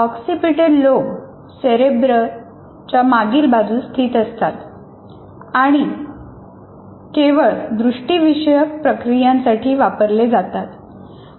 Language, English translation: Marathi, Oxipatal lobes are located at the back of the brain or cart cerebrum and are used almost exclusively for visual processing